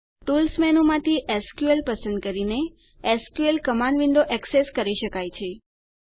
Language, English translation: Gujarati, The SQL command window is accessed by choosing SQL from the Tools menu